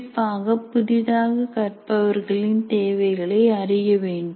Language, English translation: Tamil, And especially the needs of beginning learners